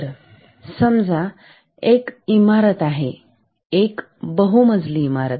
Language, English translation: Marathi, So, suppose there is a building a multi storeyed building